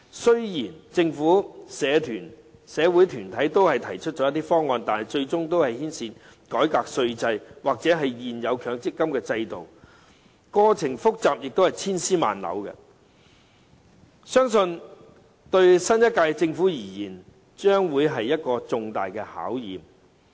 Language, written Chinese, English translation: Cantonese, 雖然政府和社會團體都提出了一些方案，但最終均會牽涉改革稅制或現有強積金制度，過程複雜而且千絲萬縷，相信對新一屆政府而言，將會是一個重大的考驗。, The proposals made by the Government and the community organizations will ultimately involve a reform of the tax regime or the existing MPF System . The process is complicated with a cobweb of relations . I believe it will be a tall challenge to the Government of the new term